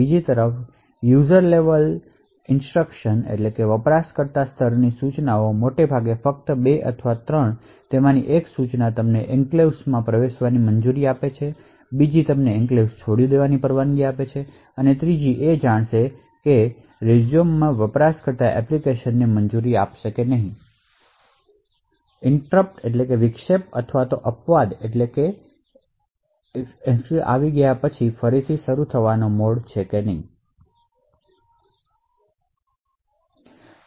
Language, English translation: Gujarati, The user level instructions on the other hand mostly just 2 or 3 of them one instruction will permit you to enter into the enclave and other one will permit you to leave the enclave and the third one would know as a resume would permit an application in user mode to resume after a interrupt or exception has occurred